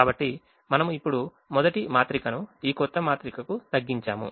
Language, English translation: Telugu, so we have now reduced the first matrix to this new matrix which is here